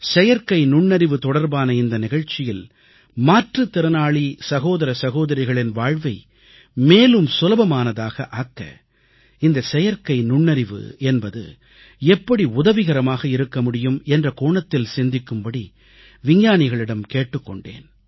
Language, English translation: Tamil, In that programme on Artificial Intelligence, I urged the scientific community to deliberate on how Artificial Intelligence could help us make life easier for our divyang brothers & sisters